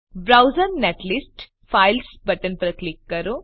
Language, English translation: Gujarati, Click on Browse netlist Files button